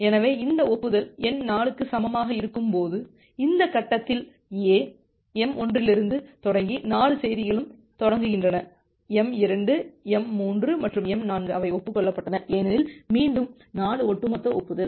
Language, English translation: Tamil, So, when this acknowledgement number is equal to 4, at this stage A finds out that well, all the 4 messages starting from m1, starting from m2, m3 and m4, they got acknowledged because 4 is again a cumulative acknowledgement